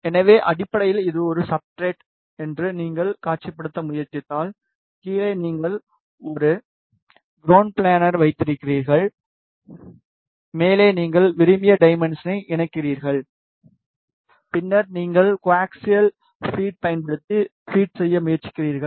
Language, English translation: Tamil, So, basically if you try to visualize this is a substrate then at the bottom you have a ground plane, and on the top you make the patch of your desired dimension, then you try to feed using co axial feed